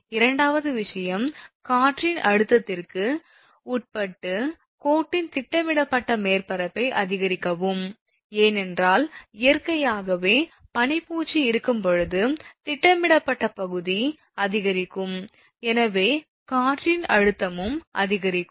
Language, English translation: Tamil, Second thing is, increase the projected surface of the line subject to wind pressure; naturally, because when ice coating will be there, so naturally that projected area will increase, and hence what you call that it will, wind pressure also will increase